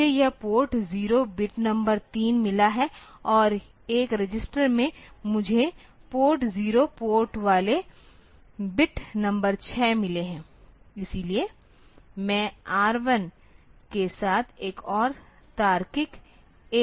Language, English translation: Hindi, I have got this port zeroes bit number 3 and in a register I have got port zeros port ones bit number 6